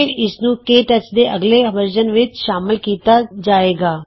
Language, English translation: Punjabi, It will then be included in the next version of KTouch